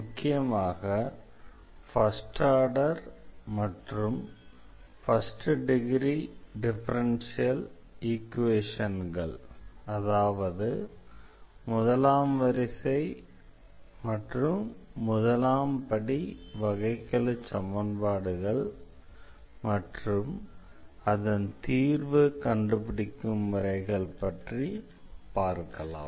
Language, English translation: Tamil, Today will be talking about this First Order Differential Equations, and mainly we will consider first order and the first degree differential equations and their solution techniques